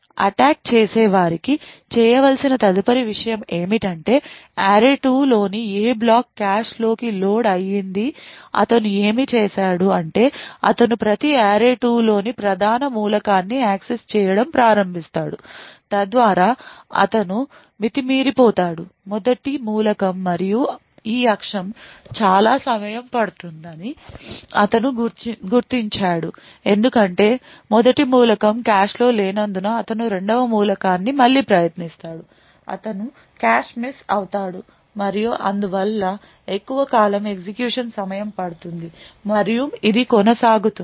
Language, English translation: Telugu, The next thing to do for the attacker is to identify which block in array2 has actually been loaded into the cache what he does for this is that he starts to access every main element in array2 so he excesses the first element and he figures out that this axis is going to take a long time because the first element is not present in the cache then he would try the second element again he would get a cache miss and therefore along a longer good execution time and this continues